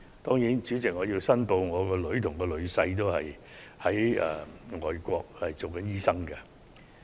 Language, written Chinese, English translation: Cantonese, 就此，主席，我想申報我的女兒和女婿均是外國執業醫生。, In this connection President I would like to declare that my daughter and son - in - law are overseas medical practitioners